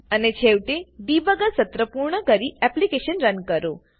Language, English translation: Gujarati, And finally, Finish the debugger session and Run your application